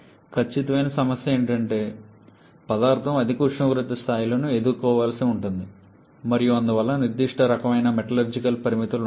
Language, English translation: Telugu, But definite problem is we have to deal with the material has to deal with higher temperature levels and therefore there will be certain kind of metallurgical limits